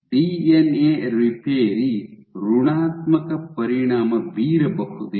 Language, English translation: Kannada, So, can it be that DNA repair is impacted negatively